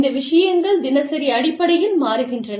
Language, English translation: Tamil, These things, change on a daily basis